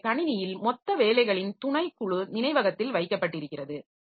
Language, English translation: Tamil, So, a subset of total jobs in the system is kept in memory